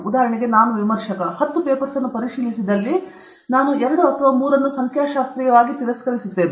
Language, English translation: Kannada, For example, I am a reviewer; if I get to review ten papers, I reject 2 or 3 statistically